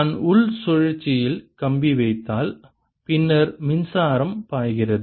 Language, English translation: Tamil, if i put the wire, the inner loop, then also the current flows